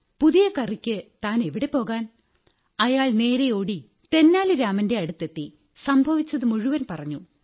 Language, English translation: Malayalam, The cook went running directly to Tenali Rama and told him the entire story